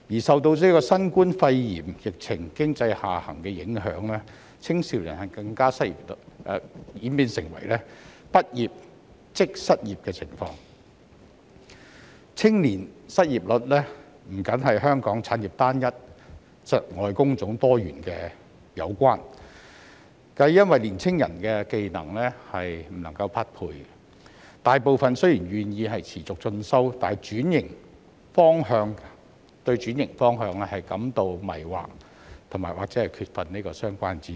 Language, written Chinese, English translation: Cantonese, 受新冠肺炎疫情經濟下行的影響，青少年更加演變成"畢業即失業"的情況，青少年失業率不單與香港產業單一窒礙工種多元的情況有關，亦因年青人的技能不能匹配，大部分青少年雖然願意持續進修，但對轉型方向仍然感到迷惑及缺乏相關知識。, Under the influence of the economic downturn due to the COVID - 19 epidemic young people are facing the situation of unemployment upon graduation . The youth unemployment rate is not merely the result of the uniformity in industrial structure in Hong Kong which stifles diversification but also due to the lack of matching skills on the part of young people . Though most of the young people are willing to pursue continuing education they still feel confused and lack the relevant knowledge in switching occupation